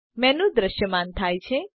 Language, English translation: Gujarati, A menu appears